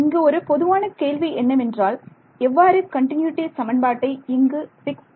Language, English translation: Tamil, So, the natural question will come how do you fix the continuity equation right